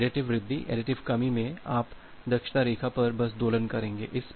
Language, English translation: Hindi, So, in additive increase additive decrease, you will just oscillate on the efficiency line